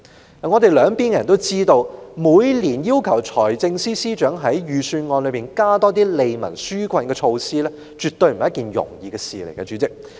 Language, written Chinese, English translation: Cantonese, 主席，我們兩邊的人也知道，每年要求財政司司長在財政預算案中多加一些利民紓困措施絕不是一件容易的事。, President Members on both sides of the Chamber know that every year it is definitely hard to ask the Financial Secretary to include more relief measures in the Budget